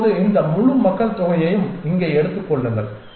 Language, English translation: Tamil, Now, take this whole population here